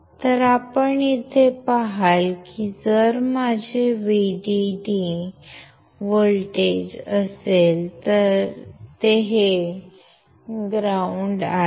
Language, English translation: Marathi, So, you see here that if vdd is my voltage this is ground